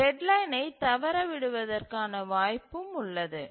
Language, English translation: Tamil, So, there is a chance that the deadline will get missed